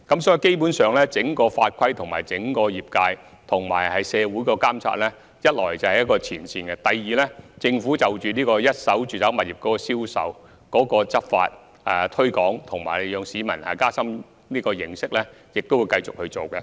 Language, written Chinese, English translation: Cantonese, 所以，基本上，第一，整個法規、整個業界和社會的監察，是位於最前線的；第二，政府在一手住宅物業銷售的執法、以及推廣和加深市民的認識方面，也會繼續進行工作。, For this reason basically first the whole set of laws and regulations the whole sector and monitoring by society are at the forefront and second the Government will also continue to make efforts in law enforcement in respect of first - hand residential properties and enhance public awareness